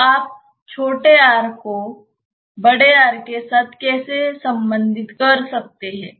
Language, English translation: Hindi, So, how you can relate small r with capital R